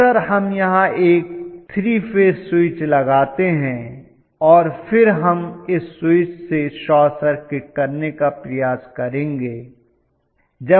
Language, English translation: Hindi, Very often what we do is to provide a 3 phase switch here and then we will try to short circuit this switch